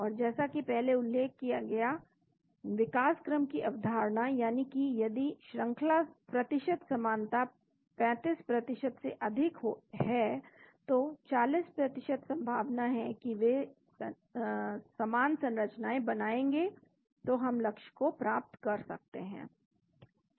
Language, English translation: Hindi, And as mentioned before, the concept of evolution that if the sequence percentage identity is greater than 35%, 40% chances are they will adapt similar structure so we can get the target